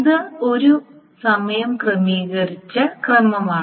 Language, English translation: Malayalam, So it's a time ordered sequence